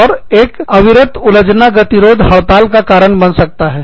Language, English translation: Hindi, And, an ongoing unresolved impasse, can lead to a strike